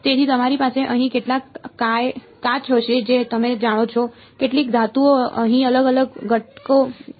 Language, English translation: Gujarati, So, you will have some you know glass over here, some metal over here right different different components are there